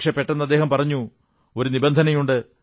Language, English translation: Malayalam, But then he suddenly said that he had one condition